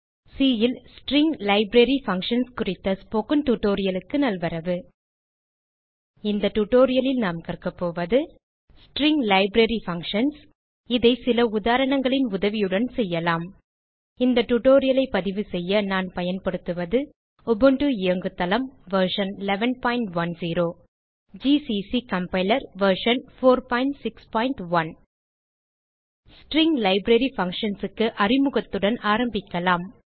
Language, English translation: Tamil, Welcome to the spoken tutorial on String Library Functions in C In this tutorial we will learn, String Library Functions We will do this with the help of some examples To record this tutorial, I am using Ubuntu Operating System version 11.10, gcc Compiler Version 4.6.1 Let us start with an introduction to string library functions